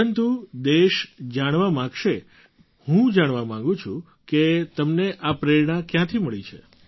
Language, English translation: Gujarati, But the country would like to know, I want to know where do you get this motivation from